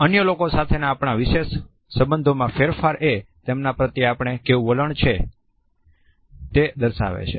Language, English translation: Gujarati, Any change in our special relationship with other people also communicates the type of attitude we have towards them